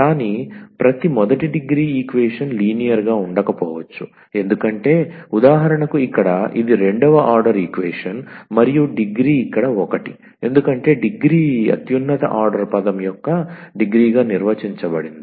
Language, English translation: Telugu, But every first degree equation may not be linear, because for instance here this is the second order equation and the degree is one here because the degree is defined as this higher the degree of the highest order term